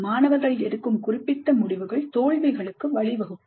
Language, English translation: Tamil, Specific decisions made by the students may lead to failures